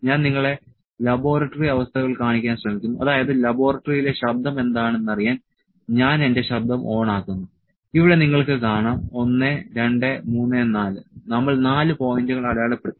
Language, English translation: Malayalam, So, let me try to show you the laboratory conditions that what is the voice in the laboratory I will just switch on my sound here you can see 1, 2, 3, 4, we have marked 4 points